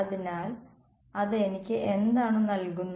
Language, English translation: Malayalam, So, what does that give me it gives me